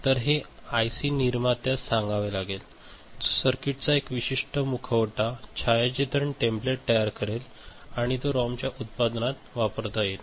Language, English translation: Marathi, So, it has to be told to the IC manufacturer who will prepare a specific mask, a photographic template of the circuit and which will be used in the production of the ROM ok